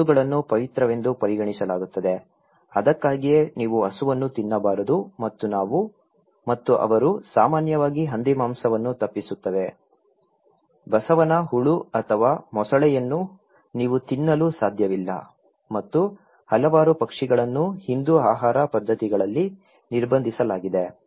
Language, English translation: Kannada, Cows are considered to be sacred thatís why you should not eat cow and we and they often avoid the pork, no snails or crocodiles, you cannot eat and numerous birds are restricted in Hindu dietary practices